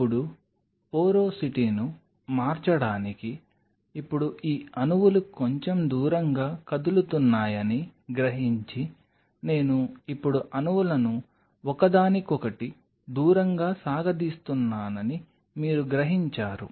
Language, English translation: Telugu, Now, in order to change the porosity, now realizing these molecules are moving a little far away, you are realizing I am now stretching the molecules far away from each other